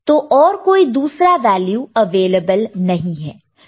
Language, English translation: Hindi, So, there are no other values available there